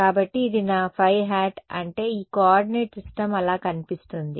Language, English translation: Telugu, So, this is my phi hat that is what this coordinate system looks like that